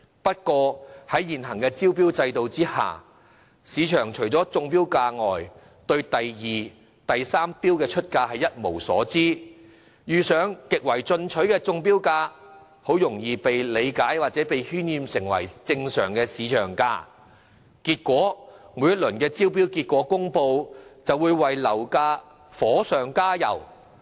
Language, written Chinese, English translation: Cantonese, 不過，在現行招標制度下，市場除了中標價外，對第二和第三出標價一無所知，遇上極為進取的中標價，便很容易被理解或被渲染為正常市場價，結果每一輪招標結果公布，都會為樓價火上加油。, However under the existing tendering system apart from the successful bid price the second and third highest bid prices will remain unknown to the market and if a successful bid is made with a very aggressive bid price it will be easily taken or played up as a normal market price . As a result property prices will only be pushed further upwards with the announcement of every round of tender results